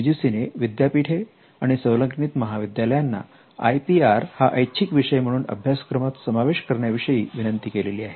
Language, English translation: Marathi, UGC now requests universities and affiliated colleges to provide IPR as elective course